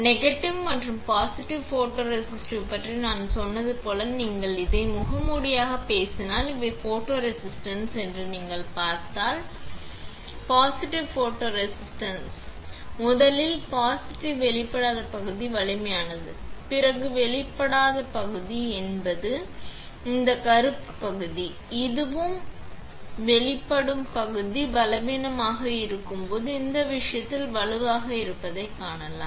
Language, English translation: Tamil, About negative and positive photoresist like I said the if you talk about this as a mask, and you see these are photoresist, then if we; in case of positive photoresist let us talk about first positive, the unexposed region is stronger, then unexposed region is this black region, this one and this one, you can see it is stronger in this case while the exposed region is weaker, we can see here in this case, correct